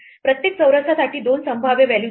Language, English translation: Marathi, There are two possible values for every square